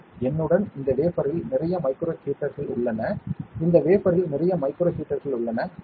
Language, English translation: Tamil, I have here with me a lot of micro heaters on this wafer I have a lot of micro heaters on this wafer, ok